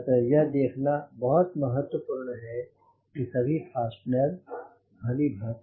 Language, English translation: Hindi, so its very important to see that the fasteners are secured